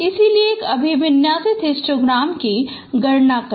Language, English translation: Hindi, So compute and orientation histogram